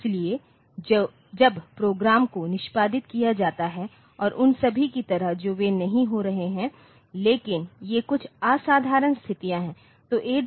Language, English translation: Hindi, So, when the programs are executed like computations and all that they are not occurring, but these are some um extraordinary conditions, ok